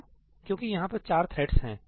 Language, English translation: Hindi, Why because there are 4 threads